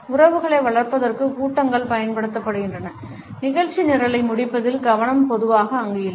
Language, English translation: Tamil, Meetings are used for building relationships the focus on finishing the agenda is not typically over there